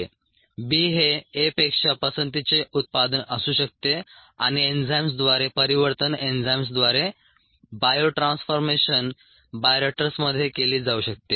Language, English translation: Marathi, the b could be the preferred product over a and the transformation through enzymes, the bio transformation through enzymes, could be carried out in a bioreactor